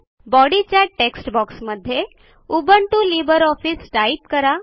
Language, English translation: Marathi, In the Body text box type:Ubuntu Libre Office